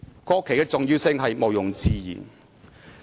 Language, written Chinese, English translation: Cantonese, '"國旗的重要性毋庸置疑。, The importance of the national flag is beyond doubt